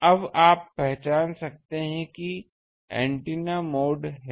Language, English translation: Hindi, So, you can now identify that this is the antenna mode